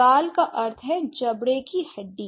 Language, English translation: Hindi, So, cheek means the jaw bone, right